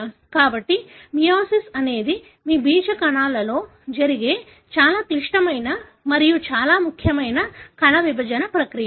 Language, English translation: Telugu, So, the meiosis is a very complex and very important cell division process that takes place in your germ cells